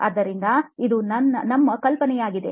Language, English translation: Kannada, So this is our assumption